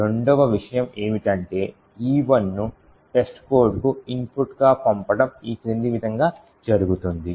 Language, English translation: Telugu, The second thing is to sent, E1 as an input to test code this is done as follows